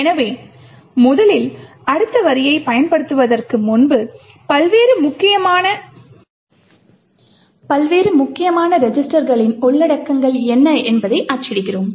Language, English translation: Tamil, So, first of all before we invoke the next line let us print what are the contents of the various important registers